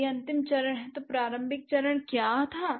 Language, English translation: Hindi, If this is the final stage, what was the initial stage